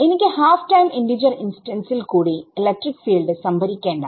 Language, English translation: Malayalam, I do not want to be storing electric field at halftime integer instance also